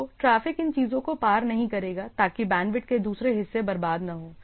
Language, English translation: Hindi, So, it the traffic will not cross these things so that the other parts are bandwidth are not wasted